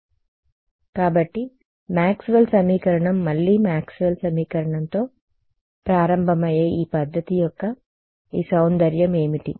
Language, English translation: Telugu, So, what is our usual Maxwell’s equation again this beauty of this method is to start with starts with Maxwell’s equation